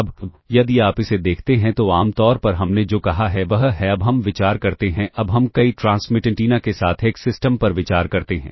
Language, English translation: Hindi, Now, if you look at this [vocalized noise] typically what we said is now let us consider now let us consider a system with multiple transmit antennas